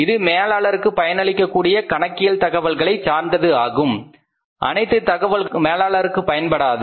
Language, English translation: Tamil, It is concerned with the accounting information that is useful to managers, every information is not useful to managers